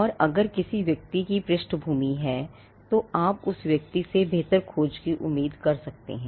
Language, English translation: Hindi, And if a person has a background, then you could expect a better search from that person